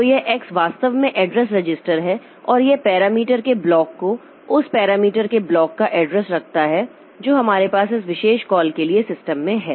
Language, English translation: Hindi, So, this x is actually an address register and that holds the block of parameters, the address of the block of parameters that we have in the system for this particular call